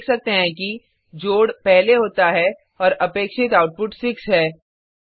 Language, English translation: Hindi, As we can see, addition has been performed first and the output is 6 as expected